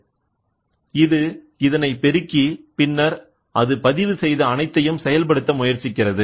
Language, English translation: Tamil, So, this amplifies and then it tries to actuate whatever it has recorded, it tries to actuate